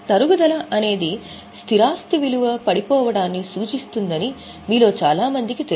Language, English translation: Telugu, Now, most of you know that depreciation refers to fall in the value of fixed asset